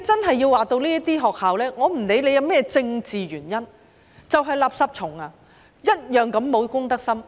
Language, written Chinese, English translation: Cantonese, 對於這些學校，我不管有何政治原因，它們便是"垃圾蟲"，同樣沒有公德心。, Political reasons aside these schools are exactly litterbugs without a sense of social responsibility